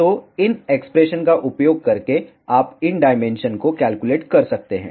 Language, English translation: Hindi, So, by using these expressions you can calculate these dimensions